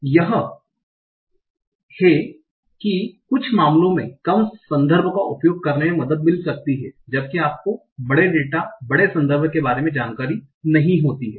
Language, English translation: Hindi, So that is some cases it might help to use less context whenever you do not have information about larger data, larger context